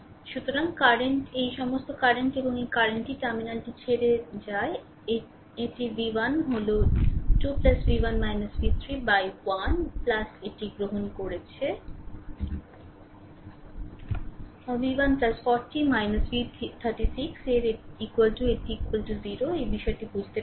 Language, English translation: Bengali, So, all this current this current this current and this current leaving the terminal so, that is v 1 by 2 plus v 1 minus v 3 by 1 plus this i we have taken, v 1 plus 40 minus v 3 upon 6 that is equal to this is equal to 0 I hope you have understood this right